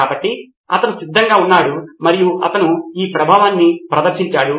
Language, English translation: Telugu, So he was ready and he demonstrated this effect